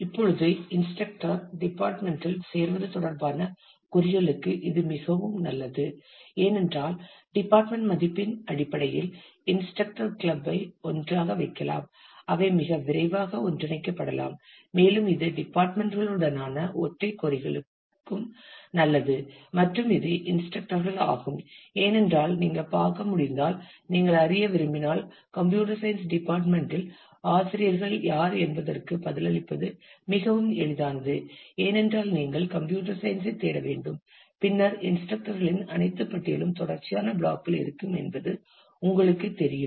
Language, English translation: Tamil, Now, it is actually good for queries that involved joining department with instructor, because based on the value of the department you have the instructors club together and they could be very easily quickly taken together and it is also good for single queries with departments and it is instructors, because as you can see you can if you want to know for example, who are the faculty for at computer science department; then it be very easy to answer that, because you need to search for computer science and then you know all the list of the faculty will be in consecutive block